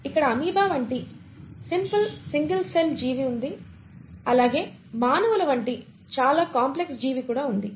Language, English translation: Telugu, You have a simple, single celled organism like amoeba or you have a much more complex organism like human beings